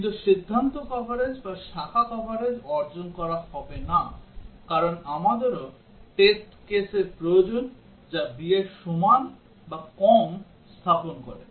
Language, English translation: Bengali, But decision coverage or branch coverage will not be achieved, because we are also needs test case which sets an equal to or less than b